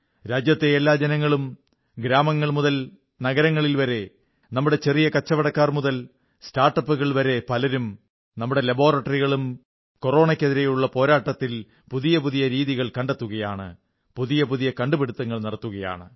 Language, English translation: Malayalam, A multitude of countrymen from villages and cities, from small scale traders to start ups, our labs are devising even new ways of fighting against Corona; with novel innovations